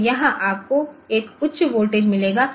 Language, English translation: Hindi, So, there so the, you will get a high voltage here